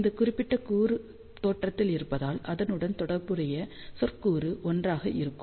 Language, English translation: Tamil, So, since this particular element is at origin the term corresponding to that will be 1